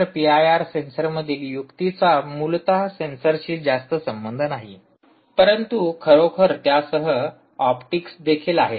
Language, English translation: Marathi, so the trick in p i r sensor, essentially is not so much to do with the sensor but really the optics that goes with it